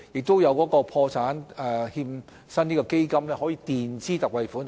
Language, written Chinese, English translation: Cantonese, 在有需要時，破欠基金亦會墊支特惠款項。, Ex - gratia payments will be granted under the Fund where necessary